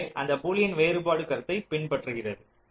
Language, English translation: Tamil, so this also follows from the boolean difference concept